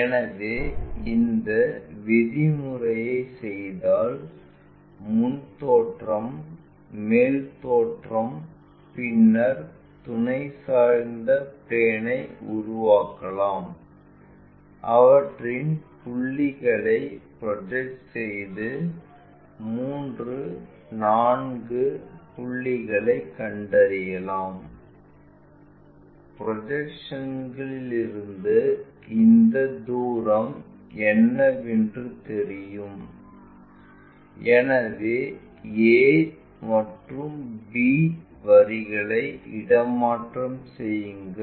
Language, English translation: Tamil, So, if we do that procedure, front view front view top view then constructing auxiliary inclined plane, project them all the way, locate 3 4 points; from projections we know what is this distance, relocate a and b lines